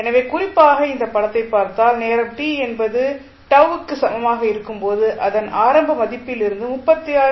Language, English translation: Tamil, So, if you see particularly this figure you will see that at time t is equal to tau this will become 36